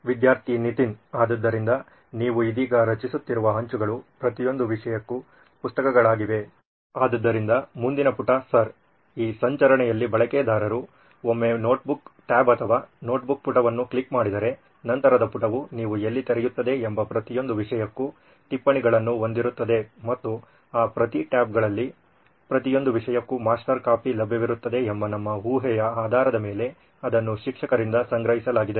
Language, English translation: Kannada, So the tiles that you are creating right now are the books for each subject right, so the next page sir, in this navigation would be once a user clicks on the notebook tab or the notebook page then subsequent page would open where you would have notes for each subject and the master copy whether it is collected from the teacher based on our assumption that master copy would be available for each subject in each of those tabs